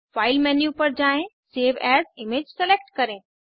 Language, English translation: Hindi, Go to File menu, select Save as image